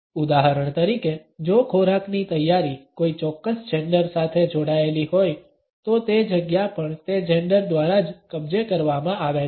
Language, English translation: Gujarati, For example, if the preparation of food is linked with a particular gender the space is also occupied by that gender only